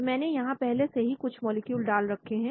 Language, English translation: Hindi, So I had already loaded some molecules